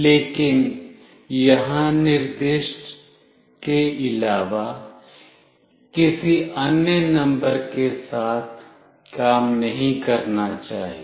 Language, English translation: Hindi, But, it should not work with any other numbers other than what is specified here